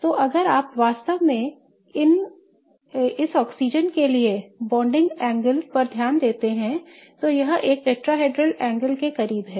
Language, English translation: Hindi, So, if you really pay attention to this, the bonding angle for this oxygen is kind of close to a tetrahedral angle